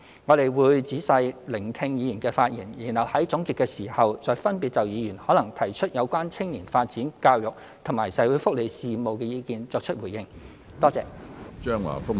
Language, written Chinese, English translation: Cantonese, 我們會仔細聆聽議員的發言，然後在總結時，再分別就議員可能提出有關青年發展、教育及社會福利事務的意見作出回應。, We will listen carefully to Members speeches and respond to their views on youth development education social welfare etc . in our concluding remarks